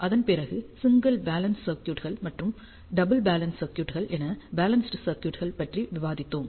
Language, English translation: Tamil, After that we discussed the balanced circuits, which are single balance circuits and ah double balance circuits